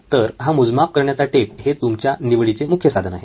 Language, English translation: Marathi, So this is your main instrument of choice, so to speak your measuring tape